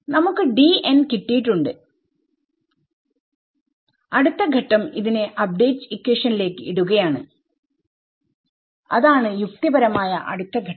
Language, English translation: Malayalam, So, our next step is we have got D n the next step is going to be put it into update equation right that is a logical next step